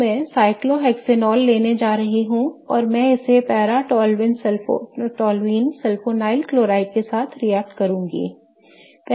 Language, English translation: Hindi, So, I am going to take cyclohexenol and I am going to react it with paratolyul sulfonyl chloride